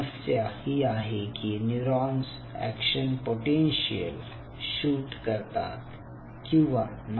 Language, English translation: Marathi, now the problem with such culture is: are these neurons shooting action potentials or not